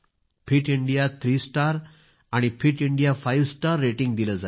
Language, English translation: Marathi, Fit India three star and Fit India five star ratings will also be given